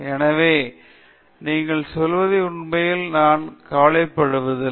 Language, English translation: Tamil, So, they really don’t care what you say at all